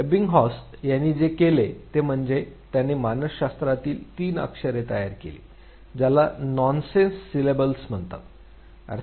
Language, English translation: Marathi, What Ebbinghaus did was that he created a three letter composites what are in psychology called as nonsense syllables